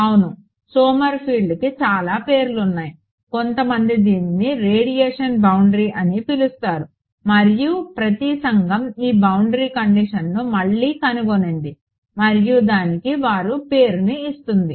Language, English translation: Telugu, Yeah, there are many names Sommerfeld some people call it radiation boundary and so, on, Every community rediscovers this boundary condition and gives their name to it ok